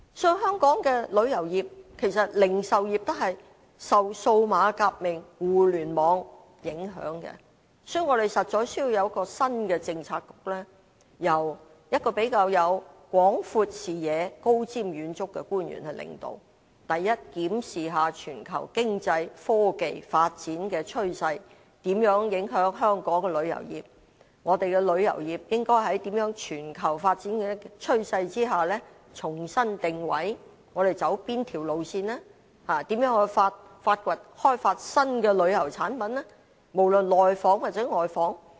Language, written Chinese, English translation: Cantonese, 其實，旅遊業及零售業也受到數碼革命和互聯網影響，所以我們實在需要有一個新的政策局，由一位比較有廣闊視野、高瞻遠矚的官員領導，檢視全球經濟及科技發展的趨勢如何影響香港的旅遊業，我們的旅遊業應該如何在全球發展的趨勢下重新定位，應走哪條路線，應如何開發新的旅遊產品，無論內訪還是外訪。, In fact the tourism industry and the retail trade have also been affected by the digital revolution and the Internet . Thus we need to set up a new Policy Bureau led by an official with perspective and foresight to examine how the global economic and technological trends have affected the tourism industry of Hong Kong; how the industry should reposition itself under these global trends and map out its way forward; and how we should develop new tourism products for inbound as well as outbound tourism